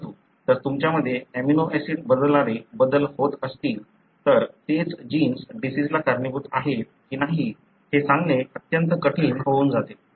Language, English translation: Marathi, But, if you have changes that are changing the amino acid it becomes extremely difficult to tell whether that is the gene which is causing the disease